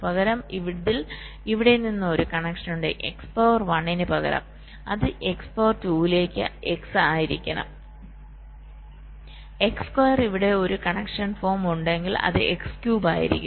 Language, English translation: Malayalam, so if, instead of this, there is a connection from here, then instead of x, two, a one, it should be x, x to the power two, x square